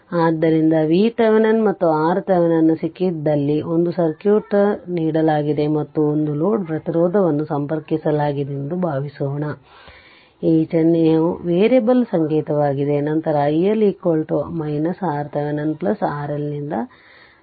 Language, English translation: Kannada, So, if it is so then suppose a circuit is given where we have got V Thevenin and R Thevenin right and a load resistance is connected, this symbol is a variable symbol right, then i L is equal to i L is equal to your V Thevenin by R Thevenin plus R L right